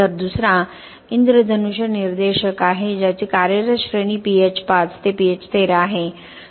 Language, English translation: Marathi, So the other one is rainbow indicator which is having a working range of pH 5 to pH 13